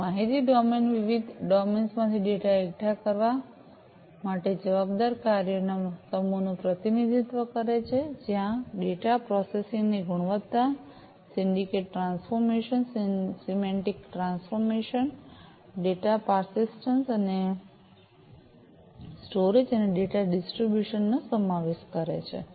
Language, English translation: Gujarati, So, the information domain represents the set of functions responsible for assembling the data from various domains, where the data consists of quality of data processing, syntactic transformation, semantic transformation, data persistence, and storage and data distribution